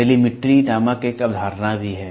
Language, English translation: Hindi, There is also a concept called as Telemetry